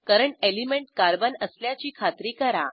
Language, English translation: Marathi, Ensure that current element is Carbon